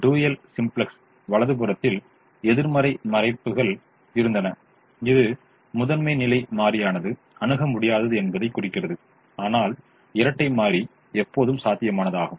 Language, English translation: Tamil, in the dual simplex we had negative values on the right hand side indicating that the primal could be infeasible, but the dual was always feasible